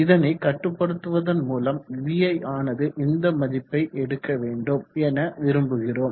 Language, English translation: Tamil, We would like to control it in such a manner that vi is taking this value